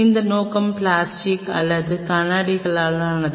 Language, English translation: Tamil, Is this objective for plastic or glass